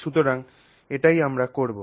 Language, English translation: Bengali, Okay, so that's what we will do